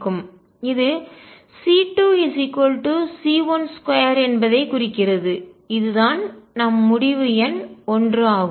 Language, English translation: Tamil, And this implies the c 2 is equal to c 1 square that is conclusion number 1